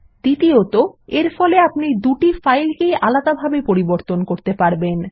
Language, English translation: Bengali, Second, it enables the user to modify both the files separately